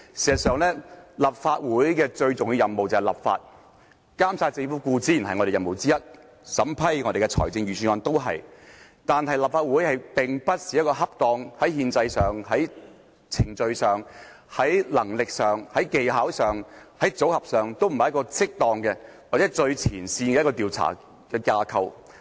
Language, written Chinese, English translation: Cantonese, 事實上，立法會最重要的任務是立法，監察政府固然是我們的任務之一，審批財政預算案也是，但立法會並非一個在憲制上、程序上、能力上、技巧上和組合上最適當或最前線的調查架構。, As a matter of fact the most important duty of the Legislative Council is to make legislation . Monitoring the Government is of course one of our duties and so is the scrutiny of financial budgets . But constitutionally procedurally and ability - expertise - and composition - wise the Legislative Council is not the most appropriate investigation body nor is it designed as a frontline investigation organization